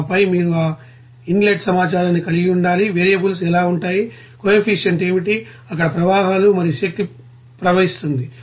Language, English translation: Telugu, And then you know that you have to you know, know that inlet information there, what will be the variables, what will be the coefficient, what will be the streams and energy flows there